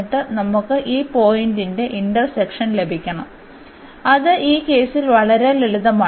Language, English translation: Malayalam, And then we have to get this point of intersection which is pretty simple in this case